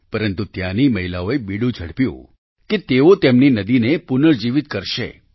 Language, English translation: Gujarati, But, the womenfolk there took up the cudgels to rejuvenate their river